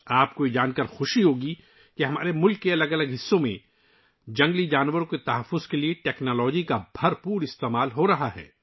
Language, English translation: Urdu, You will be happy to know that technology is being used extensively for the conservation of wildlife in different parts of our country